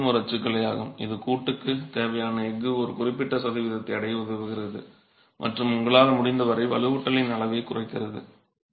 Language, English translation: Tamil, Again, this is again a typology that will help you achieve a certain percentage of steel that you require for the joint itself and minimize the size of the reinforcement as much as you can